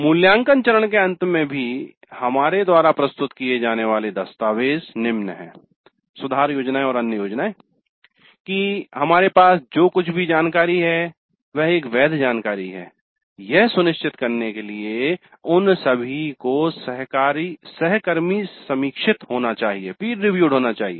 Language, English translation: Hindi, So at the end of the evaluate phase also the documents that we produce and the improvement plans and other plans that we produce they all must be peer reviewed in order to ensure that what we have is a valid kind of information